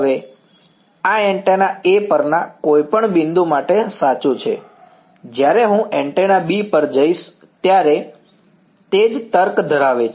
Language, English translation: Gujarati, Now, and this is true for any point on the antenna A, when I move to antenna B the same logic holds